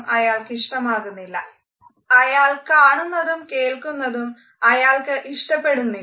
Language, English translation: Malayalam, He does not like what he hears, he does not like what he sees